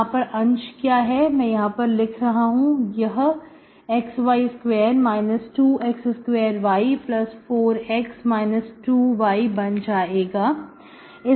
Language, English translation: Hindi, It is going to be minus 2x square y minus 2y plus 4x, plus 4x minus 2y